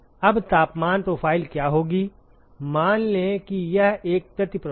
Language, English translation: Hindi, Now, what will be the temperature profile, let us say it is a counter flow